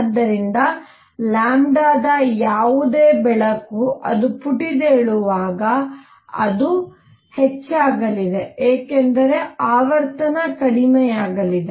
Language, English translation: Kannada, So, any light at lambda as it bounces it’s lambda is going to increase because frequency is going to go down